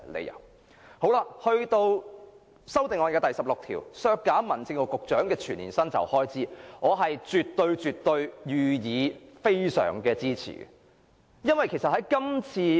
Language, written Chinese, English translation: Cantonese, 有關修正案編號 16， 建議削減民政事務局局長的全年薪酬開支，我絕對予以大力支持。, Speaking of Amendment No . 16 which proposes to cut the annual expenditure for the Secretary for Home Affairs remuneration I will absolutely give strong support